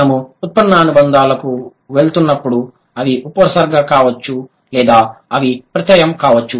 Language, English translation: Telugu, And when we are going to the derivational affixes, they can either be a prefix or they can be a suffix